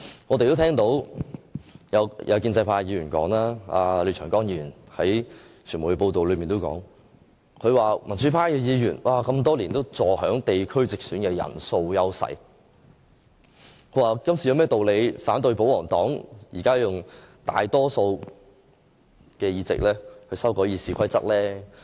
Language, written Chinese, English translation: Cantonese, 我們也聽到傳媒報道有關建制派廖長江議員的說話，他說民主派議員多年來坐享地區直選的人數優勢，今次他們有何道理反對保皇黨以大多數議席修改《議事規則》？, We have heard how Mr Martin LIAO commented on the RoP amendments from media reports . According to him the democrats have got the upper hand in the geographical direct election for years . Hence there is no ground for them to oppose the amendments proposed by the pro - establishment Members who now have a majority of seats in the geographical direct election